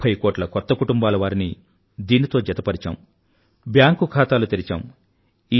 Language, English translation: Telugu, Thirty crore new families have been linked to this scheme, bank accounts have been opened